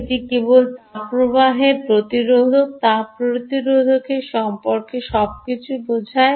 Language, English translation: Bengali, it simply means everything about thermal resistance